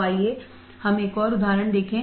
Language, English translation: Hindi, So, let us see one more example